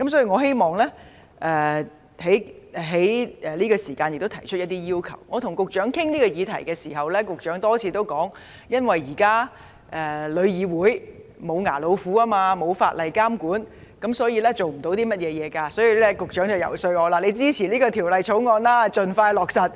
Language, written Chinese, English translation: Cantonese, 我與局長討論這項議題時，局長多次表示，由於現時香港旅遊業議會是"無牙老虎"，也沒有法例監管，沒有阻嚇作用，所以，局長遊說我支持《條例草案》盡快落實。, When discussing the issue with me the Secretary has reiterated that the Travel Industry Council of Hong Kong TIC is tantamount to a toothless tiger at present; in the absence of legislative regulation TIC has no deterrent effect . As such the Secretary has lobbied for my support for the expeditious implementation of the Bill